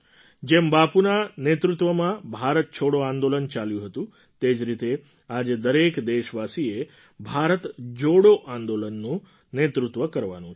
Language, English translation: Gujarati, Just the way the Quit India Movement, Bharat Chhoro Andolan steered under Bapu's leadership, every countryman today has to lead a Bharat Jodo Andolan